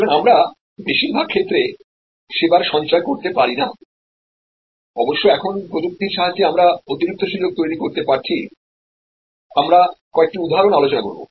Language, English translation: Bengali, So, we cannot store in most cases of course, now with technology we are able to create additional opportunities, we will discuss some examples